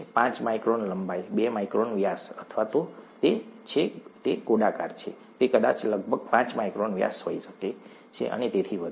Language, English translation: Gujarati, Five micron length, two micron diameter, or if it is spherical it could probably be about five micron diameter, and so on